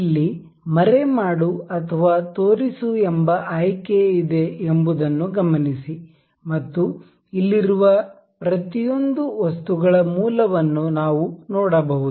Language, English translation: Kannada, Note that there is a option called hide or show here and we can see the origins of each of the items being here present here